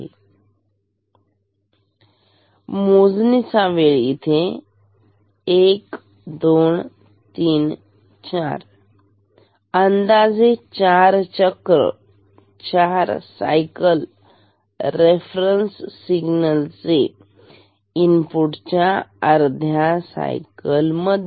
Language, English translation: Marathi, So, this is counting time and here say we have 1, 2, 3, 4 roughly 4 cycles of the reference signal within this half cycle of the input signal ok